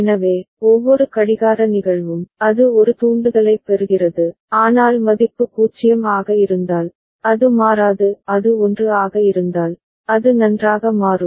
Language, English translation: Tamil, So, every clock instance, it gives gets a trigger, but the value if it is 0, it will not change; if it is 1, it will toggle fine